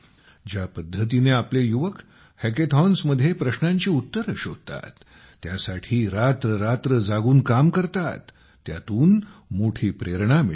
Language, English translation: Marathi, The way our youth solve problems in hackathons, stay awake all night and work for hours, is very inspiring